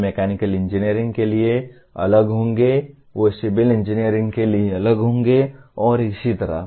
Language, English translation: Hindi, They will be different for mechanical engineering, they will be different for civil engineering and so on